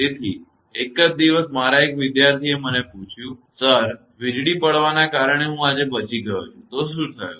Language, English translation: Gujarati, So, one day one of my students told me, Sir, I have survived today because of lightning; so, what happened